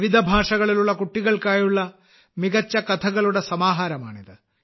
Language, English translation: Malayalam, This is a great collection of stories from different languages meant for children